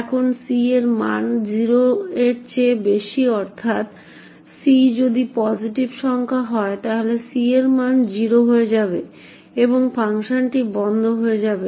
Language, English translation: Bengali, Now if c has a value greater than 0 that is if c is a positive number then the value of c becomes 0 and the function would terminate